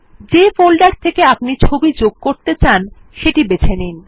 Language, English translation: Bengali, Choose the folder from which you want to insert a picture